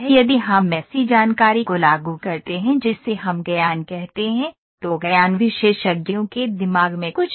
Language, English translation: Hindi, If we apply information that we call can call as knowledge, knowledge is something in the mind of the experts